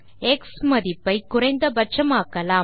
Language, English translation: Tamil, Lets move the xValue towards minimum value